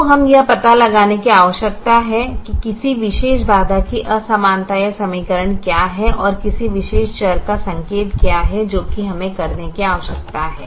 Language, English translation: Hindi, so we need to find out what is the inequality or equation of the particular constraint and what is a sign of the particular variable